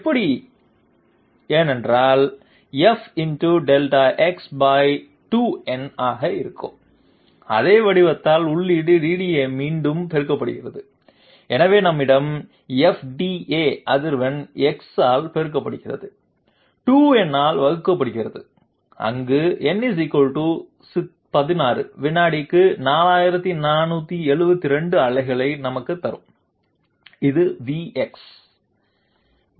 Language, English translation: Tamil, How is this so, because feed DDA multiplied again by the same form that is F into X by 2 to the power m, so we have feed DDA frequency multiplied by Delta x divided by 2 to the power m where m = 16 will give us 4472 pulses per second, this is V x